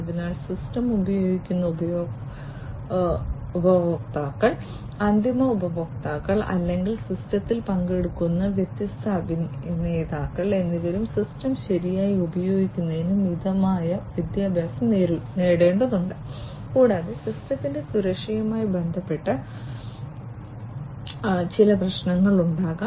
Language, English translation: Malayalam, So, the users, the end users, who are using the system or are different actors taking part in the system they will also need to be educated enough to use the system properly, and that there are some potential issues with security of the system of the infrastructure of the data and so on